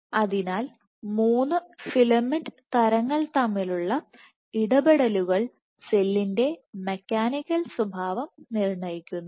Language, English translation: Malayalam, So, interactions between the 3 filament types determine the mechanical behavior of the cell